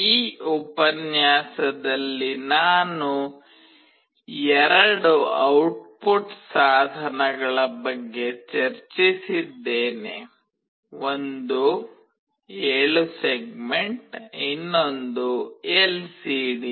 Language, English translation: Kannada, In this lecture I have discussed about two output devices, one is 7 segment, another is LCD